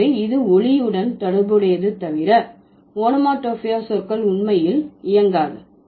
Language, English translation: Tamil, So, unless this is related to sound, onomatopic words do not really work, right